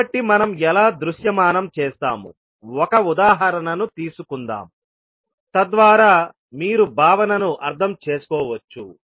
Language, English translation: Telugu, So how we will visualise, let us take an example so that you can understand the concept